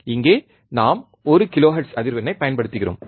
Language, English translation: Tamil, Here we are applying one kilohertz frequency